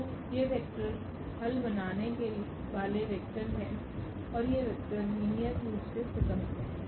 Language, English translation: Hindi, So, these vectors can the vectors that generate the solutions are these and this and these vectors are linearly independent